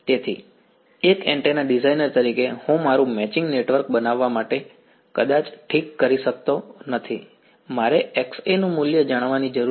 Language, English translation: Gujarati, So, as an antenna designer I am may not fix what I have to make my matching network, I need to know the value of Xa right